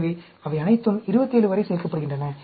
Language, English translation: Tamil, So, they all add up to 27